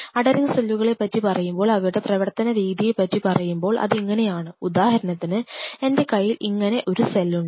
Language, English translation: Malayalam, If you are talking about adhering cells, the cells the way it works is something like this say for example, I have a cell like this